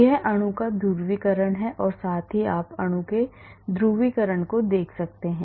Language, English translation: Hindi, This is the polarizability of the molecule well as you can see the polarizability of the molecule